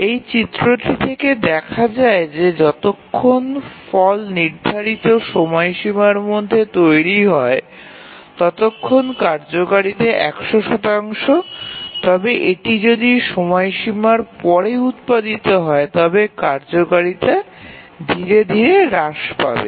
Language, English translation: Bengali, So, as this diagram shows that as long as the result is produced within the deadline, the utility is 100 percent, but if it s produced after the deadline then the utility gradually reduces